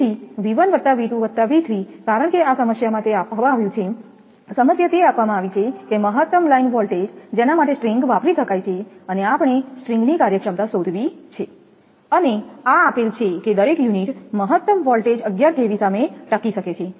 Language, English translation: Gujarati, So, V 1 plus V 2 plus V 3 because in the problem it is given, problem it is given that maximum line voltage for which the string can be used, and we have to find string efficiency and this is given that each unit can withstand a maximum voltage of 11 kV